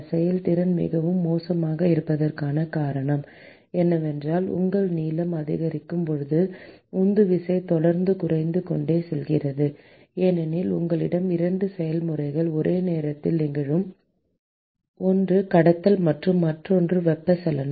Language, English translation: Tamil, And the reason why the efficiency is very poor is that the as you as the length increases, the driving force is constantly decreasing because you have 2 processes which are occurring simultaneously one is the conduction and the other one is the convection